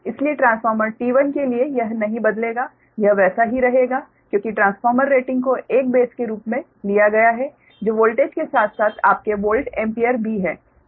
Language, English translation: Hindi, so for transformer t one, this will not change, it will remain as it is because transformer rating itself has been taken as a base, that voltage as well as your volt ampere, right